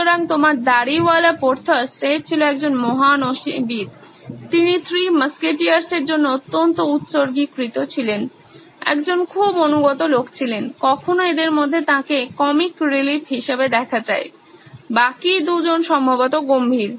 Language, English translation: Bengali, So, Porthos your bearded guy he was a great swordsman, he was fiercely dedicated to the Three Musketeers, a very loyal guy, often seen as the comic relief among these 3, the other 2 were probably serious Although the Lego block actually shows him to be the most serious but actually he is the funniest guy